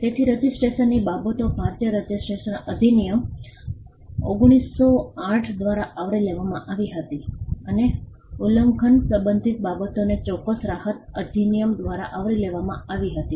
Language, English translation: Gujarati, So, registration matters of registration was covered by the Indian Registration Act, 1908, and matters pertaining to infringement was covered by the specific relief act